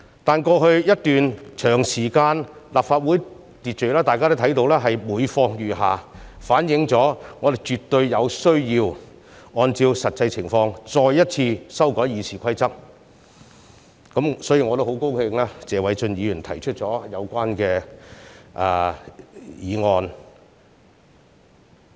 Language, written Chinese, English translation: Cantonese, 但是，在過去一段長時間裏，大家也看到立法會秩序是每況愈下，反映我們絕對有需要按照實際情況再一次修改《議事規則》，所以我也很高興看到謝偉俊議員提出有關議案。, However during quite long a period in the past we have seen the deterioration of order in the Legislative Council . This has demonstrated the absolute need for us to amend the Rules of Procedure for the second time . For that reason I am happy to see that Mr Paul TSE has proposed the relevant motion